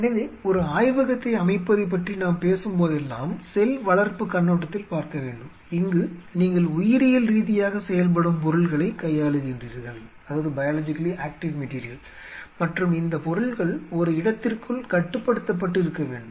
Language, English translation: Tamil, So, whenever we talk about setting up a lab, as perceive of the cell culture which is you are dealing with biologically active material and material which should remain confined within a space